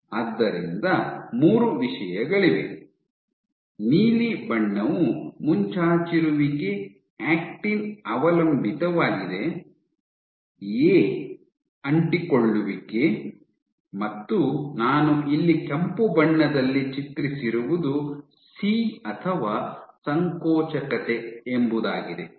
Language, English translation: Kannada, So, you have 3 things blue is protrusion actin dependent, A is adhesion, and what I have depicted here in red is C or contractility